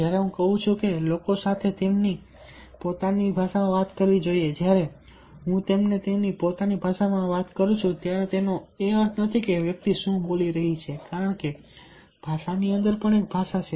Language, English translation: Gujarati, when i say in their own language, t does not mean the language the person is speaking, because there is a language within language